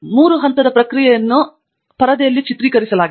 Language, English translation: Kannada, The three step process is illustrated in this screen shot